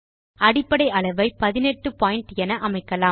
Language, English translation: Tamil, Let us increase the Base size to 18 point